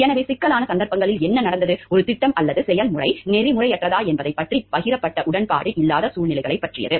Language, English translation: Tamil, So, in trouble some cases what happened, it concerns with situations where there is no shared agreement about whether a project or procedure is unethical